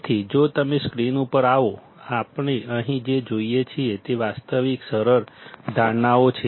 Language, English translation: Gujarati, So, if you come to the screen; what we see here is realistic simplifying assumptions